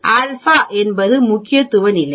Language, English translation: Tamil, It is alpha, alpha is the significance level